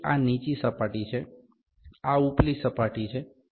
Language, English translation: Gujarati, So, this is the low surface, this is upper surface